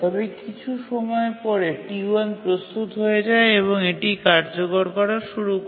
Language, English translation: Bengali, And after some time T4 becomes ready, it starts executing